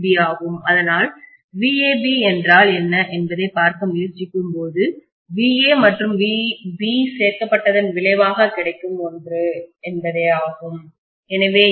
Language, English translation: Tamil, So when I try to look at what is VAB I have to just take the resultant of VA and VB added together, so I will have this as VAB